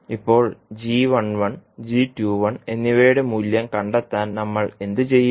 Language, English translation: Malayalam, Now, to find out the value of g11 and g21